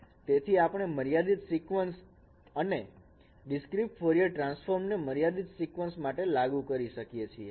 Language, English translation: Gujarati, But it happens so you are handling with the finite sequence and discrete Fourier transform is also is applied for a finite sequence